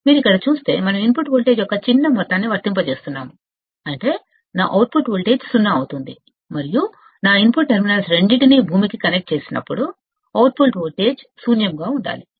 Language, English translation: Telugu, If you see here, we are applying a small amount of input voltage, such that my output voltage will be 0 and when we connect both my input terminals to ground, the output voltage should be 0